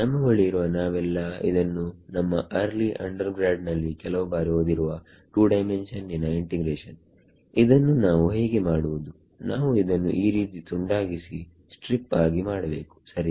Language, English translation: Kannada, we had all we have all studied this some time in early undergrad 2 dimensional integration how do we do; we break it up like this into a strip here right